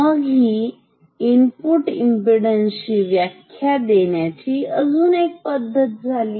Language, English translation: Marathi, So, this is one way of defining input impedance